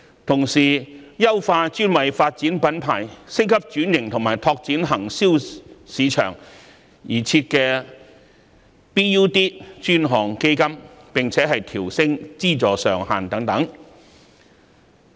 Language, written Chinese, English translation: Cantonese, 同時，當局也應優化專為發展品牌、升級轉型及拓展內銷市場而設的 BUD 專項基金，並調升其資助上限。, In the meantime the BUD Fund which is a dedicated fund on branding upgrading and domestic sales should be enhanced and its funding ceiling should also be increased